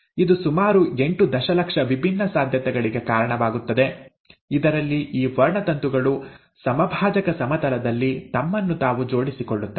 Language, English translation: Kannada, That in turn gives rise to about eight million different possibilities in which these chromosomes will arrange themselves along the equatorial plane